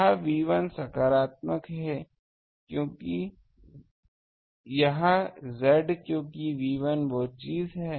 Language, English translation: Hindi, This B 1 is positive this Z because B 1 is the thing